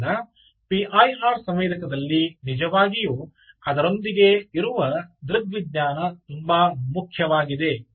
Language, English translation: Kannada, so the trick in p i r sensor, essentially is not so much to do with the sensor but really the optics that goes with it